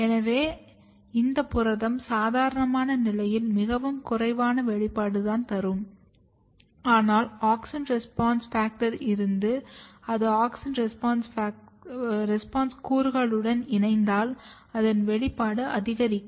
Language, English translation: Tamil, So, which means that this protein will have a very low or very basal level expression under normal condition, but if there is auxin response factor if it comes and binds to the auxin response element, it can enhance the expression